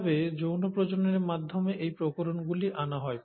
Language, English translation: Bengali, Now how are these variations through sexual reproduction brought about